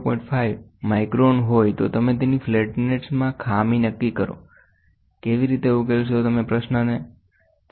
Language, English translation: Gujarati, 5 microns determine the error in flatness; how do you solve it